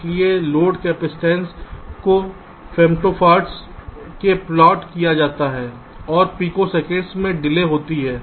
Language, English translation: Hindi, so load capacitances are plotted in femto farads and delay in picoseconds